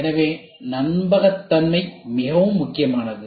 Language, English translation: Tamil, So, reliability is very important